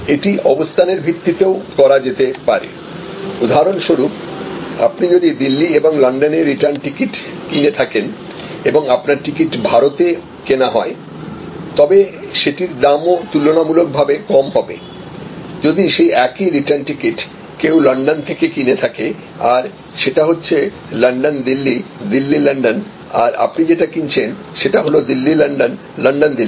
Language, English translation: Bengali, It could be also booking done for location, like for example, if you are buying a ticket for return ticket between Delhi and London and if your ticket is purchased in India, it is quite possible that your ticket will be, the price will be lower than the price which somebody will be paying for the same return, but the ticket is purchased in London for a London Delhi, Delhi London, whereas you are buying a Delhi London, London Delhi